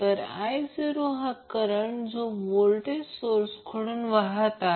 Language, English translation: Marathi, So, I naught is the current which is flowing from voltage source